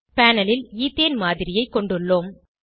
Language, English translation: Tamil, We have a model of Ethene on the panel